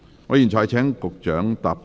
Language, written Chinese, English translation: Cantonese, 我現在請局長答辯。, I now call upon the Secretary to reply